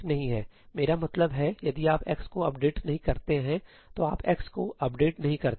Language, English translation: Hindi, I mean, if you do not update x, you do not update x